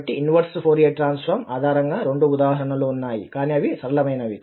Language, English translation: Telugu, In this example, we will find, so there are two examples based on the inverse Fourier transform but they are simple